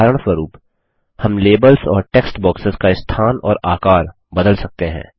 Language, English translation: Hindi, For example, we can change the placement and size of the labels and text boxes